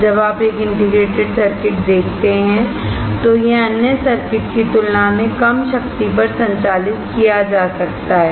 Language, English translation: Hindi, When you see an integrated circuit, it can be it can be operated at a way low power compared to the other circuits